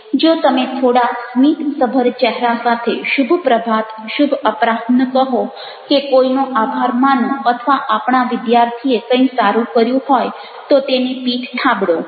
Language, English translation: Gujarati, if you are just saying with little bit smiling face and saying good morning, good afternoon, or thanking somebody, or patting our students, they have done something good, ah it, it wont caste much